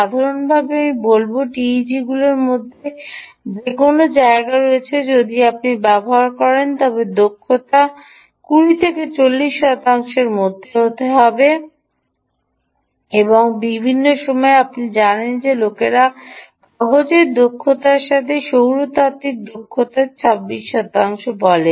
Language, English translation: Bengali, typically i would say it is anywhere between in tegs if you are using the efficiency can be anywhere between twenty and forty pa ah forty percentage, unlike solar, which is, you know, people say even solar theoretical efficiency ah about with efficiency on paper is twenty six percent